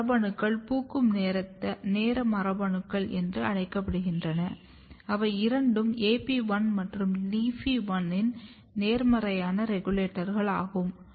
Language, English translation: Tamil, And these genes are called flowering time genes and both are positive regulator of AP1 and LEAFY1